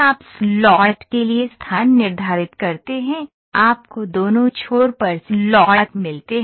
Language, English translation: Hindi, You define the location for the slot, you get the slots on both the ends